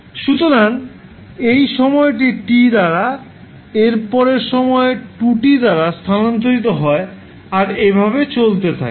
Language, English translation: Bengali, So, this is time shifted by T then time shifted by 2T and so on